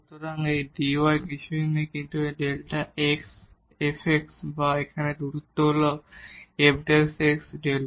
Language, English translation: Bengali, So, this dy is nothing, but delta x f x or this distance here is f prime x into delta x